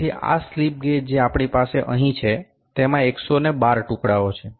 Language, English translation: Gujarati, So, these slip gauges that we have here is having 112 pieces